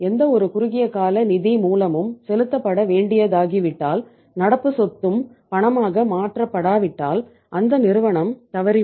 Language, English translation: Tamil, If any short term source of fund becomes due to be paid and any current asset is not convertible into cash firm is bound to default